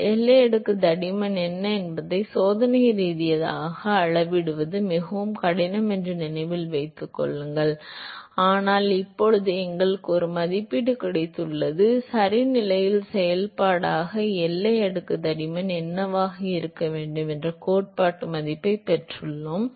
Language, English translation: Tamil, So, remember it is its very difficult to measure experimentally what the boundary layer thickness is, but we got an estimate now, we got the theoretical estimate of what the boundary layer thickness has to be as a function of position ok